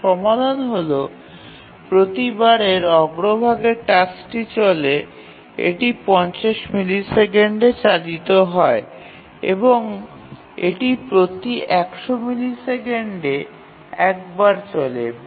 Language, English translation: Bengali, The answer to this is that every time the foreground task runs, it runs for 50 milliseconds